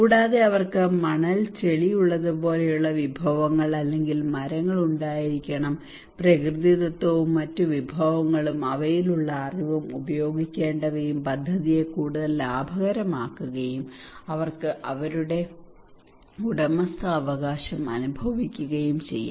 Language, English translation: Malayalam, And also the resources like they have sands muds these should be or trees whatever natural and other resources they have and knowledge they have that should be used it could be all makes the project more cost effective, and they can feel their ownership, and also there should be some resource available okay